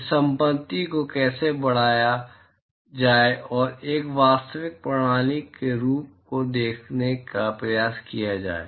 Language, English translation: Hindi, How to enhance this property and try to look at the properties of a real system